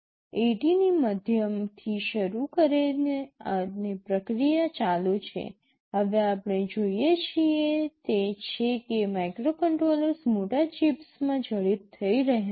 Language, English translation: Gujarati, Starting from mid 80’s and the process is continuing, what we see now is that microcontrollers are getting embedded inside larger chips